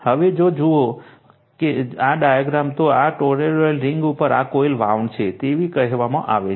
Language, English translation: Gujarati, Now, if you look into this if you look into this diagram, this is the coil wound on this you are what you call on this toroidal ring